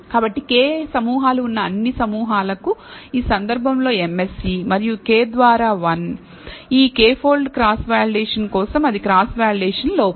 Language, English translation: Telugu, So, the MSE in this case for all groups, where there are k groups, and 1 by k that will be the cross validation error for leave this k fold cross validation